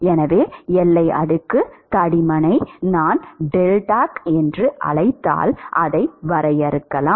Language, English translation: Tamil, So, we can define boundary layer thickness if I call it as deltac